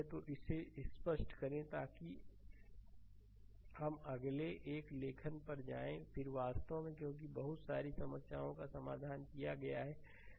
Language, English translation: Hindi, So, let me clear it so let us go to the next one or directly I am writing, then here actually because we have solved so, many problems